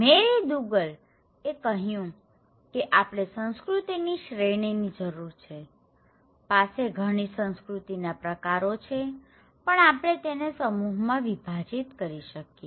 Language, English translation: Gujarati, Now, Mary Douglas was saying that we need to have a kind of categories of cultures, there we have many cultures but we can group them, categorize them